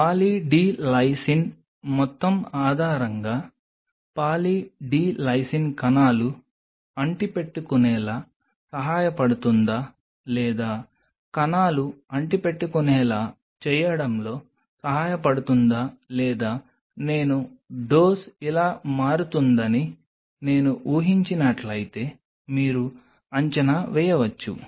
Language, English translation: Telugu, Based on the amount of Poly D Lysine you can predict whether the Poly D Lysine is helping the cells to adhere or not helping the cells to adhere and as much if I assume that this is how the dose is changing